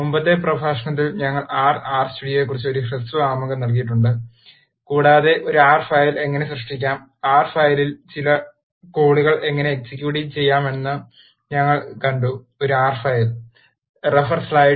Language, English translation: Malayalam, In the previous lecture we have given a brief introduction about R and R studio and we have seen how to create an R file write some codes in R file and how to execute an R file